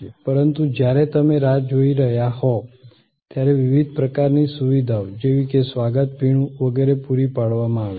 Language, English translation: Gujarati, But, while you are waiting, the different kind of amenities provided, maybe a welcome drink and so on